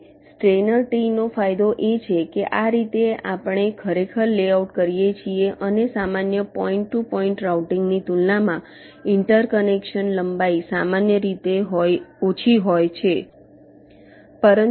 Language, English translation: Gujarati, ok, now, the advantage of steiner tree is that this is how we actually do the layout and the interconnection length is typically less as compare to simple point to point routing